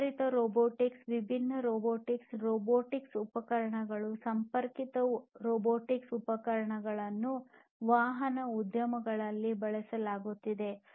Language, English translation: Kannada, Advanced robotics, different robotics, robotic equipments, connected robotic equipments are being used in the automotive industries